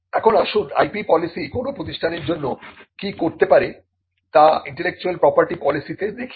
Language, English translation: Bengali, Now, let us look at the intellectual property policy as to what an IP policy can do for an institution